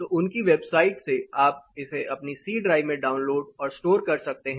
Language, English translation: Hindi, So, from their side you can download and store it in your C drive